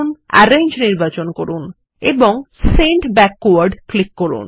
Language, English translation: Bengali, Click Arrange and select Send Backward